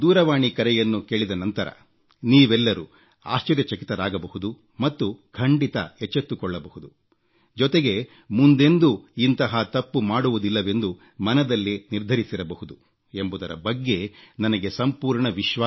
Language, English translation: Kannada, Now after listening to this phone call, I am certain that you would have been shocked and awakened and would probably have resolved not to repeat such a mistake